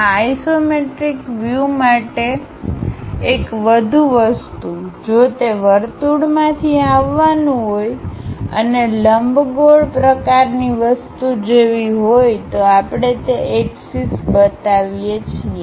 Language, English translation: Gujarati, One more thing for these isometric views, if it is something like coming from circle and ellipse kind of thing we show those axis